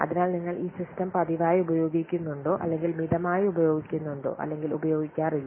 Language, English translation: Malayalam, So whether you use the system frequently use or less frequently used or don't use at all